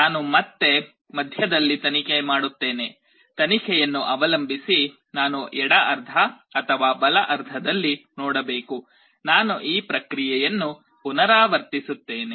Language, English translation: Kannada, I again probe in the middle, depending on the probe either I have to see in the left half or the right half; I repeat this process